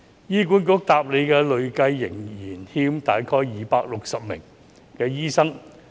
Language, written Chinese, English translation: Cantonese, 醫管局回答累計仍欠大概260名醫生。, According to HA there is a cumulative shortfall of around 260 doctors